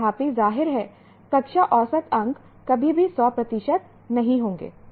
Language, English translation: Hindi, Obviously class average marks will never be 100 percent